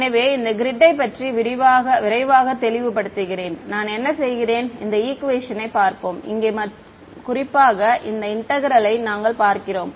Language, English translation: Tamil, So, quick clarification about this grid over here what I my do so, let us look at this equation over here and in particular we are looking at this integral